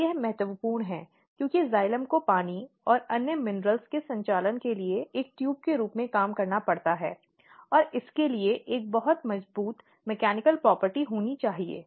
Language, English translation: Hindi, And they this is very important, because xylem has to work as a tube for conducting water and other minerals or it has to have a very strong mechanical property to be able to transport this